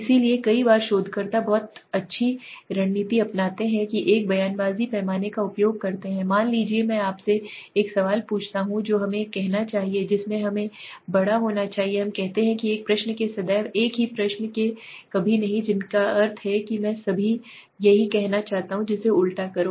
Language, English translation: Hindi, So Many of times researchers adopt very nice strategy they use a rhetoric scale that means what the suppose I ask you a question which should go from let us say from which should grow up let us say never to always in one question within a similar question which means the same I will just reverse it